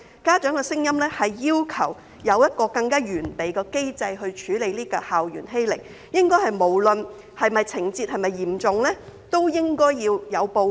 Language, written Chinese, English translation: Cantonese, 家長的聲音是要求有一個更完備的機制來處理校園欺凌，無論情節是否嚴重均應該要有報告。, The parents are asking for a more comprehensive mechanism for handling school bullying under which reporting is required regardless of the seriousness of the case